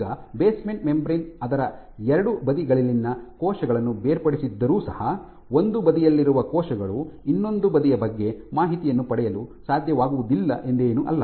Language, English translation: Kannada, Now even though the basement membrane segregate cells on 2 sides of it is not that cells on one side cannot get information about the other side